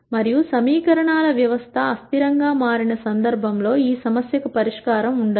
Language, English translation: Telugu, And in the case where the system of equations become inconsistent, there will be no solution to this problem